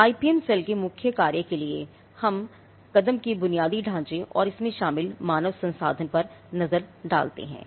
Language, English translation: Hindi, Now the IPM cell, the core functions let us look at the step infrastructure and the human resource involved